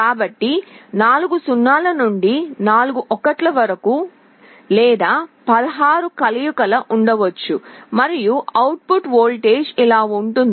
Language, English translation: Telugu, So, there can be 0 0 0 0 up to 1 1 1 1, or 16 combinations, and the output voltage can be like this